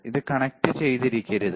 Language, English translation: Malayalam, Do not just keep it connected